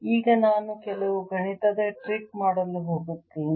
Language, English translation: Kannada, now i am going to do some mathematical trick